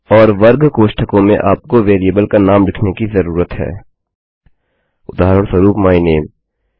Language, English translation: Hindi, And in square brackets you need to write the name of the variable for example, my name